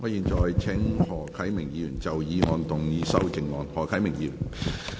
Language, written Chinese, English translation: Cantonese, 我現在請何啟明議員就議案動議修正案。, I now call upon Mr HO Kai - ming to move an amendment to the motion